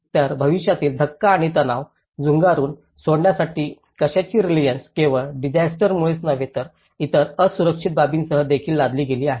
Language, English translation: Marathi, So, resilience to what, to cope up with the future shocks and stresses that have been imposed not only because of the disaster but with various other vulnerable aspects